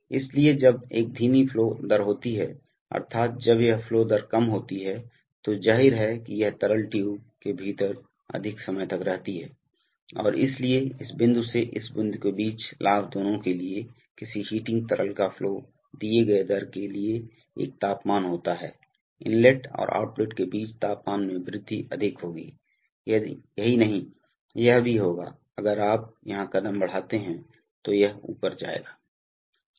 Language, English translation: Hindi, So when there is a slow flow rate that is when this flow rate is low, then obviously this liquid stays within the tube for longer time and therefore for both the gain between this point to this point, there is a temperature for a given rate of flow of the heating liquid, the increase in temperature between the inlet and the outlet will be higher, not only that, this will be also, the delay between, if you make a step here then this will go up